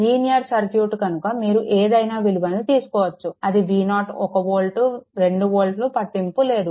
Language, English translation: Telugu, You take any value it is a linear circuit V 0 1 volt 2 volt does not matter